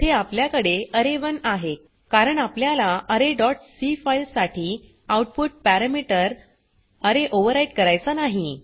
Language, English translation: Marathi, Here we have array1 because we dont want to overwrite the output parameter array for the file array dot c Now press Enter